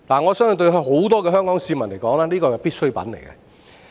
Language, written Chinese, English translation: Cantonese, 我相信對很多香港市民而言，它是必需品。, I think for many citizens in Hong Kong petrol is a necessity